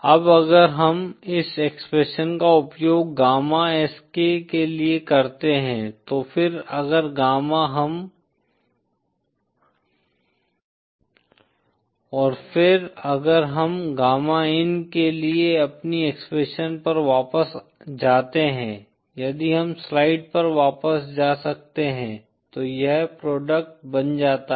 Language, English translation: Hindi, Now if we use this expression for gamma Sk & then if we go back to our expression for gamma in, if we can go back to the slides, so this becomes the product